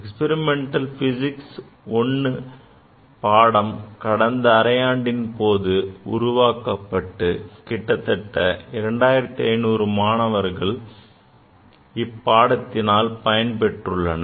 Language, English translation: Tamil, The experimental physics I was offered in last semester and nearly 2500 students have taken this course